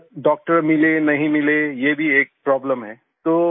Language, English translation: Hindi, And whether a doctor would be available… this is also a problem